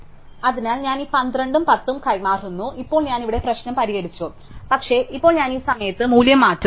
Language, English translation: Malayalam, So, I exchange this 12 and 10 and now I fix the problem here, but now I change the value at this point